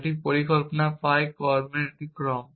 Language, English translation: Bengali, A plan pie is a sequence of actions